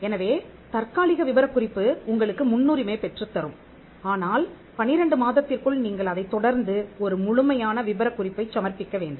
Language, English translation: Tamil, So, the provisional specification will get you the priority, but provided you follow it up by filing a complete specification within 12 months